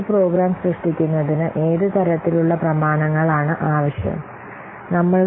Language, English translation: Malayalam, What kind of documents are required to create a program